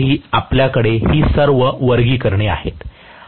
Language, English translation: Marathi, In motors also we have all these classifications